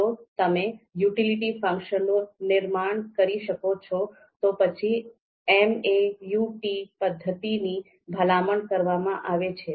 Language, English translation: Gujarati, So whatever we discussed till now, if you can construct the utility function, the MAUT method is recommended